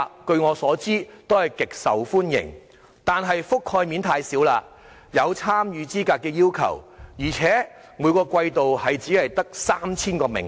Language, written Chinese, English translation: Cantonese, 據我所知，計劃極受歡迎，但覆蓋面太少，亦有參與資格的要求，而且每個季度只有 3,000 個名額。, As far as I know while the projects are well - received their coverage is limited with eligibility requirements and a quarterly quota of 3 000 children only